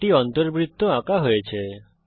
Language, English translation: Bengali, An in circle is drawn